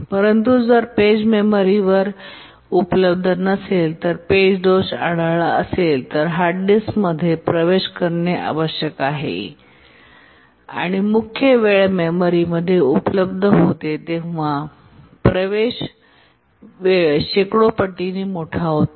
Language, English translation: Marathi, But if the page is not available on the memory and page fault occurs, then the hard disk needs to be accessed and the access time becomes hundreds of time larger than when it is available in the main memory